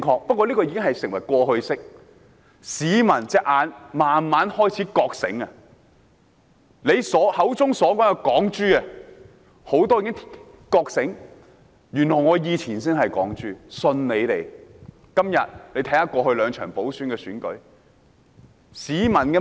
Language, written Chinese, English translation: Cantonese, 不過，這已是過去式，市民慢慢開始覺醒了，他們口中的"港豬"已經覺醒，發現原來自己以前才是"港豬"，信錯了他們。, However that was a matter of the past . People are waking up gradually . Their so - called Hong Kong pigs have awakened and realized that they were actually Hong Kong pigs in trusting them